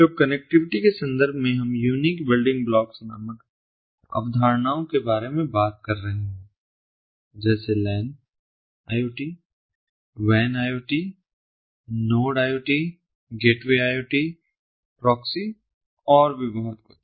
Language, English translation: Hindi, so, in terms of connectivity, we are talking about concepts called unique building blocks, such as the land, iot, lan, iot, wan, iot, node, iot, gateway, iot, proxy, and so on and so forth